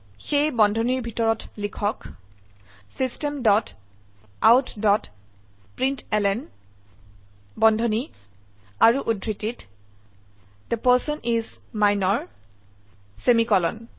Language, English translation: Assamese, So Inside the brackets type System dot out dot println within brackets and double quotes The person is Minor semi colon